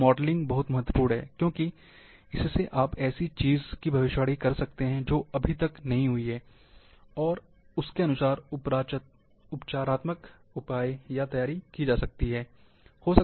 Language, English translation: Hindi, So, this modelling is very, very important, because it you can predict something, which has not yet, yet happened, and accordingly, remedial measures or preparation can be done